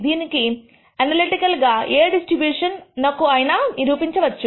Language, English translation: Telugu, This can be analytically proven for any kind of distribution